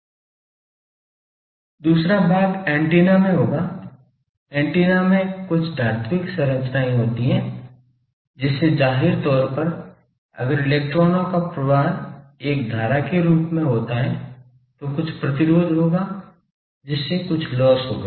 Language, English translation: Hindi, The second part will be that in the antenna; in antenna there are some metallic structures some conductors, so obviously, if electrons flow from there as a current then there will be some resistance, so that will there will be some loss